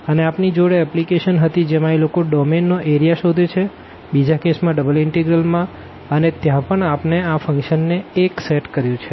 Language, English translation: Gujarati, And, we had also the application they are finding the area of the domain in case of the second in case of the double integral and there also precisely we have set this function to 1